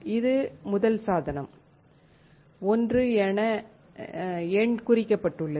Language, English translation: Tamil, This is first device is numbered 1